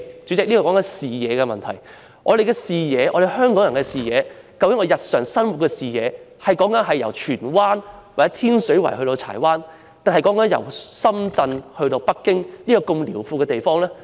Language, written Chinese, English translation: Cantonese, 主席，談到視野問題，究竟香港人的視野，是由荃灣或天水圍去柴灣，還是由深圳去北京一個這麼遼闊的地方？, President when it comes to vision does the vision of Hong Kong people span from Tsuen Wan or Tin Shui Wai to Chai Wan or from Shenzhen to a vast place as Beijing?